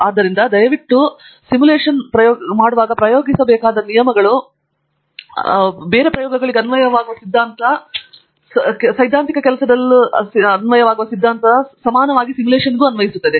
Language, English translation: Kannada, So, please remember that the rules that apply, the theory that applies to experiments or equally applies to simulation as well and like Andrew said, even in to theoretical work